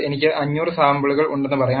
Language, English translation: Malayalam, Let us say I have 500 samples